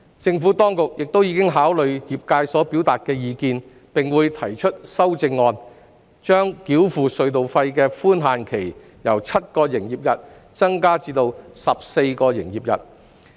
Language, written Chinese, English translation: Cantonese, 政府當局亦已考慮業界所表達的意見，並會提出修正案，把繳付隧道費的寬限期由7個營業日增至14個營業日。, The Administration has also taken into account views expressed by the trades and will move an amendment to extend the grace period for toll payment from 7 to 14 business days